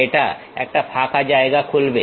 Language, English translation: Bengali, It opens a blank space